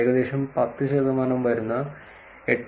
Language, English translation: Malayalam, 21 percent of the 8